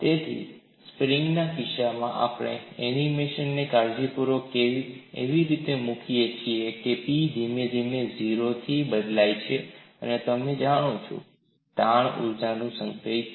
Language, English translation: Gujarati, So, in the case of a spring also we have carefully put the animation in such a way that P varies from 0 gradually, and you know what is the strain energy stored